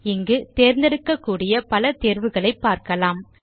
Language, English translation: Tamil, Notice the various options you can choose from here